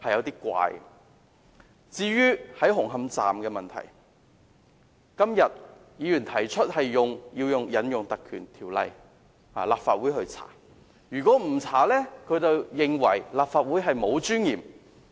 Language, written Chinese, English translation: Cantonese, 對於紅磡站的問題，今天有議員提出立法會要引用《條例》進行調查，否則他們便認為立法會沒有尊嚴。, As regards the problems with Hung Hom Station today some Members propose that the Legislative Council should invoke the Ordinance for inquiry or else the Legislative Council will have no dignity